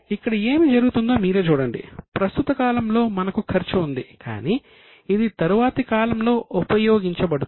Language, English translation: Telugu, See what is happening is we have incurred the cost in the current period but it will be used in the next period